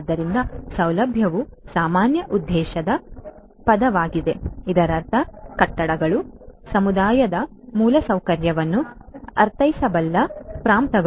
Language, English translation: Kannada, So, in you know facility is a general purpose term which means buildings, precincts which could mean community infrastructure